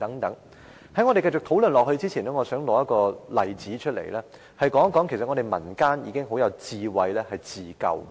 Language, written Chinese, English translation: Cantonese, 在我們繼續討論以前，我想提出一個例子，說明民間如何有智慧地自救。, Before we go on with the discussion I would like to cite an example to illustrate the wisdom of the community in self - help